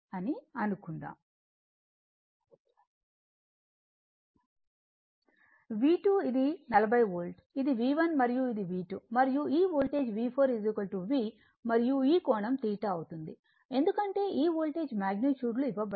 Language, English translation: Telugu, And your V 2 is this one that is your 40 volt this is your V 1 , and this is your V 2 right and this Voltage V 4 is equal to V and this angle is making theta because this Voltage magnitudes are given right